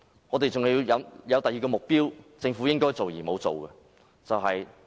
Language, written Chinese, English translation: Cantonese, 我們還有另一個目標，是政府應該做卻沒有做的。, There is another objective which the Government should try to achieve but has failed to do so